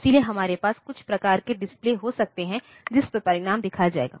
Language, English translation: Hindi, So, we can have some type of display on to which the result will be shown